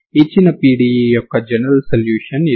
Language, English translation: Telugu, This is the general solution of given PDE